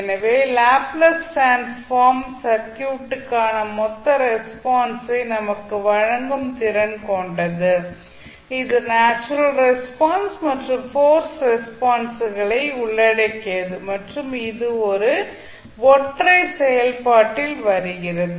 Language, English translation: Tamil, So Laplace transform is capable of providing us the total response of the circuit, which comprising of both the natural as well as forced responses and that comes in one single operation